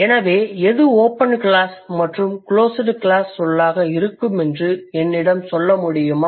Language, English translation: Tamil, So, can you tell me, can you figure out what should be the open class word and what should be a closed class word, some examples